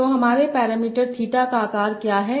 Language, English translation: Hindi, So what is the size of my parameter theta